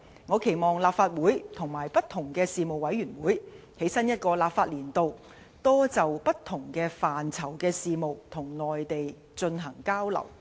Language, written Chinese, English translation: Cantonese, 我期望立法會和不同的事務委員會，在新一個立法年度，多就不同範疇的事務與內地進行交流。, I hope that the Legislative Council and various Panels will conduct more exchanges with the Mainland on issues straddling various areas in the new legislative year